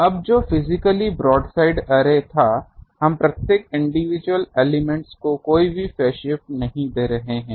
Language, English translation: Hindi, Now, physically what was broadside array, we were not giving any phase shift to each individual elements